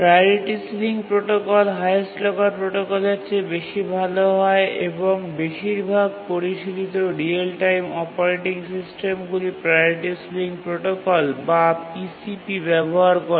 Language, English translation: Bengali, Now let's look at the priority sealing protocol which is a improvement over the highest locker protocol and most of the sophisticated real time operating systems use the priority ceiling protocol or PCP